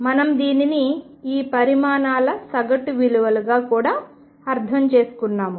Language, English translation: Telugu, And we also understood this as the average values of these quantities